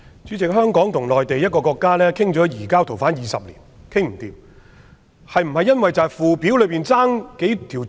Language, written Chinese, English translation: Cantonese, 主席，香港與內地討論移交逃犯20年也談不攏，是否因為附表缺少了某幾項罪行類別？, President Hong Kong and the Mainland have failed to agree on the surrender of fugitive offenders after 20 years of negotiation . Is that because some items of offences are missing in the Schedule?